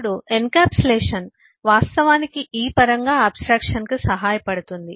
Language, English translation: Telugu, now, encapsulation actually helps abstraction by in terms of this